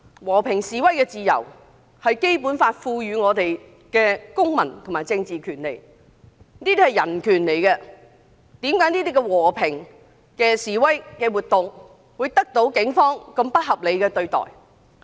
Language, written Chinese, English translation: Cantonese, 和平示威是《基本法》賦予我們的公民和政治權利，是人權，為何這類和平示威活動會得到警方如此不合理的對待？, Under the Basic Law we are endowed with the right to participate in peaceful protests . This is our civil and political right and also our human right . Why were such peaceful protests being unreasonably handled by the Police?